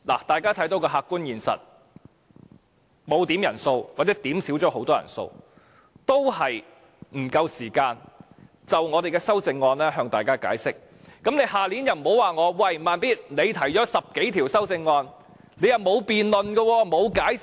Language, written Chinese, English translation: Cantonese, 大家看到的客觀現實是，即使我們沒有點算人數或甚少點算人數，仍未有足夠時間向大家解釋我們的修正案，你們明年就不要說："'慢咇'，你提出了10多項修正案，但又沒有作辯論和解釋。, Take a look at the objective situation now . Even though we have not or rarely made quorum calls we still do not have sufficient time to explain our amendments to Members . So next year would you people please do not say Slow Beat you have not spoken on or explained the 10 amendments you proposed